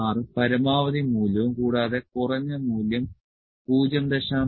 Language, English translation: Malayalam, 16 is the maximum value and the minimum value is 0